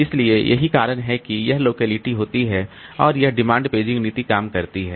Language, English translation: Hindi, So, that's why this locality happens and this demand paging policy works